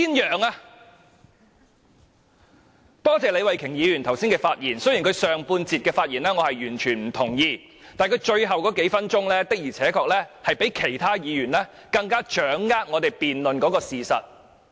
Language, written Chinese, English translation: Cantonese, 我也多謝李慧琼議員剛才的發言，雖然我完全不認同她上半段的發言，但她最後數分鐘的發言，確實比其他議員更能掌握辯論的事實。, Hence we have not taken advantage of the case . Also I would like to thank Ms Starry LEE for her earlier speech . Though I totally disagree with what she said in the first part of her speech the part she said in the last few minutes indicated that she had a better understanding of the facts of the debate